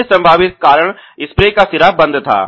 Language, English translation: Hindi, The other potential cause was spray head clogged